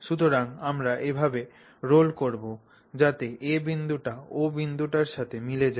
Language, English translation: Bengali, So, we roll such that point A coincides with point O